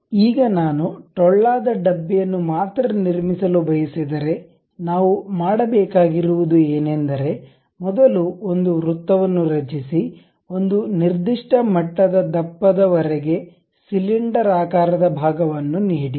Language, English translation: Kannada, Now, if I would like to really construct only hollow cane, what we have to do is, first create a circle give something like a cylindrical portion up to certain level of thickness